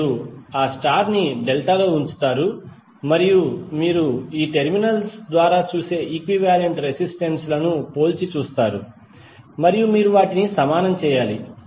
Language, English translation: Telugu, You will put that star into the delta and you will compare the equivalent resistances which you will see through these terminals and you have to just equate them